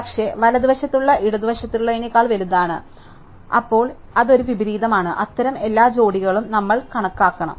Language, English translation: Malayalam, But, it something on the right is bigger than something on the left, then that is an inversion, we have to count all such pairs